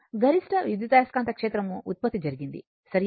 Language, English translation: Telugu, This is the maximum EMF generated, right